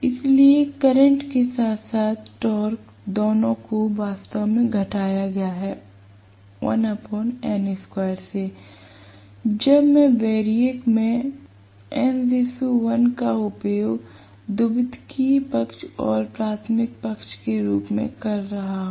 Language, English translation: Hindi, So, the current as well as the torque both are actually decremented or reduced by a factor of 1 by n square, when I am using n is to 1 as the turns ratio of the primary side to the secondary side in a variac